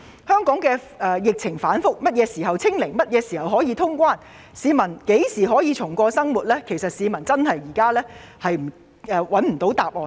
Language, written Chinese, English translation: Cantonese, 香港的疫情反覆，何時可以"清零"、何時可以通關、何時可以重過正常生活，市民均沒有答案。, The epidemic situation in Hong Kong fluctuates and no one knows when we can achieve zero infection reopen boundary crossing and resume normal lives